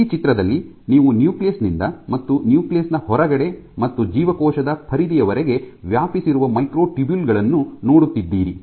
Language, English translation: Kannada, So, in this picture you have the microtubules which are spanning from the nucleus outside the nucleus and spanning till the periphery of the cell